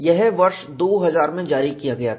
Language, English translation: Hindi, It was released in 2000